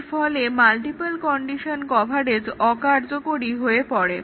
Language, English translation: Bengali, Therefore, the multiple condition coverage becomes impractical